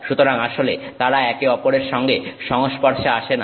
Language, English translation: Bengali, So, they actually don't get in touch with each other